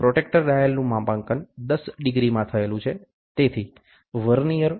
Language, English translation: Gujarati, The protractor dial is graduated in degrees with every tenth degree numbered, so Vernier